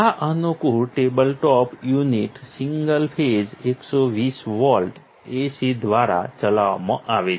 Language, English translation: Gujarati, This convenient tabletop unit is powered by 120 volts AC, single phase